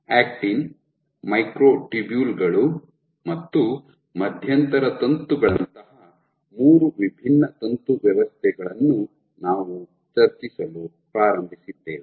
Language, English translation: Kannada, So, we had started by discussing three different filament systems made of actin, microtubules and intermediate filaments